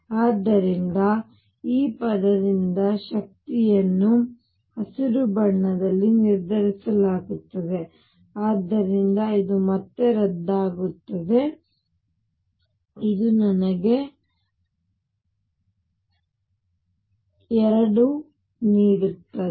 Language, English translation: Kannada, So, the energy is determined by this term in green, so this cancels again this gives me 2